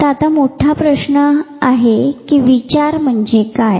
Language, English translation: Marathi, So, the big question comes what is thought